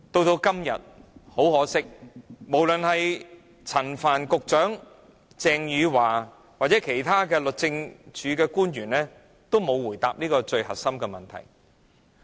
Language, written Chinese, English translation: Cantonese, 很可惜，陳帆局長、鄭若驊司長或其他律政司的官員均沒有回答這最核心的問題。, Regrettably Secretary Frank CHAN Secretary for Justice Teresa CHENG or other officials of the Department of Justice have all failed to answer this most crucial question